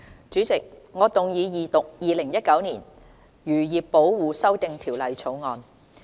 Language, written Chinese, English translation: Cantonese, 主席，我動議二讀《2019年漁業保護條例草案》。, President I move the Second Reading of the Fisheries Protection Amendment Bill 2019 the Bill